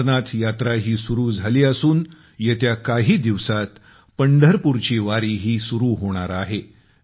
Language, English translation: Marathi, The Amarnath Yatra has also commenced, and in the next few days, the Pandharpur Wari is also about to start